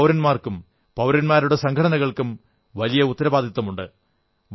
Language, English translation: Malayalam, Every citizen and people's organizations have a big responsibility